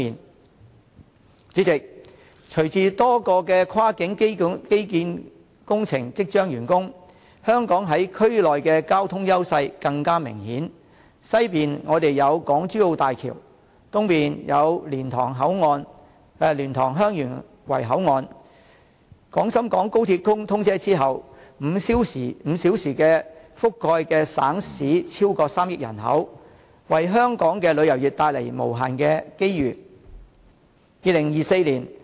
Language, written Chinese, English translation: Cantonese, 代理主席，隨着多個跨境基建工程即將完工，香港在區內的交通優勢更明顯，西面有港珠澳大橋，東面有蓮塘/香園圍口岸，在廣深港高鐵通車之後 ，5 小時覆蓋的省市將超過3億人口，為香港的旅遊業帶來無限機遇。, Deputy President with the near completion of several cross - boundary infrastructural projects the edge of Hong Kong in transportation of the region will be even more apparent . On her west there is the Hong Kong - Zhuhai - Macao Bridge; and on her east there is the LiantangHeung Yuen Wai Boundary Control Point . After the commissioning of the Guangzhou - Shenzhen - Hong Kong Express Rail Link Hong Kong will be able to reach provinces and cities of over 300 million people within five hours bringing numerous opportunities to her tourism industry